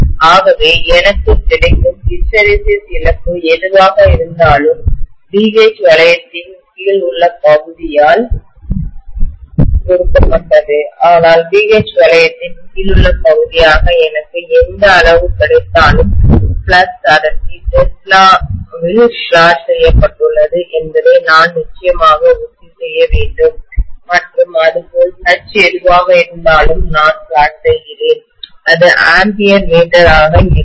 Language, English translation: Tamil, So I can say that the hysteresis loss what I get will be given by the area under BH loop but the quantity what I get as the area under the BH loop, I have to definitely make sure that the flux density is plotted in tesla and similarly whatever H, I am plotting, that will be ampere per meter